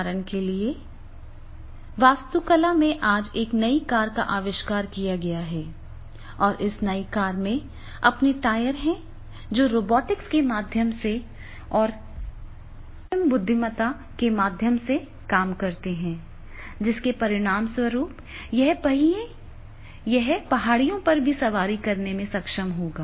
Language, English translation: Hindi, There can there for example in the architecture today there is a new car has been invented and this new car in the which will be having the tires working on their robotics and through artificial intelligence and as a result of which that car will be able to ride on the hills also, even hills also